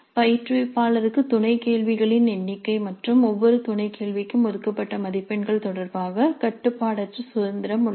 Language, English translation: Tamil, Practically it's arbitrary, the instructor has unrestricted freedom with respect to the number of sub questions and the marks allocated to each sub question